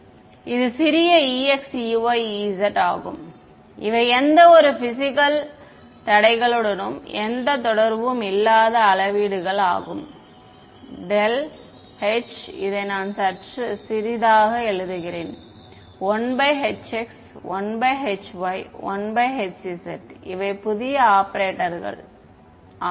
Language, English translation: Tamil, This is small e x small e y small e z these are scalars they have nothing to do with any physical constraints similarly this del H I just write it in slightly smaller a notation 1 by h x 1 by h y and 1 by h z these are the new operators ok